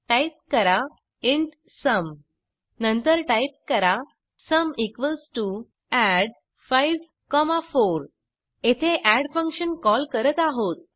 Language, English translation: Marathi, Type int sum Then type sum = add(5,4) Here we call the add function